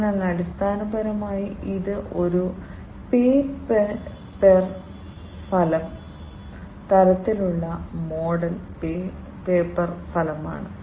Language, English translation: Malayalam, So, basically it is a pay per outcome kind of model paper outcome